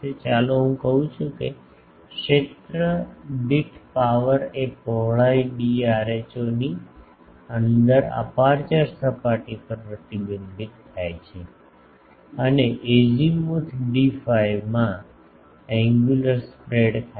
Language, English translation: Gujarati, Let me say power per area reflected to the aperture surface within width d rho and angular spread in azimuth d phi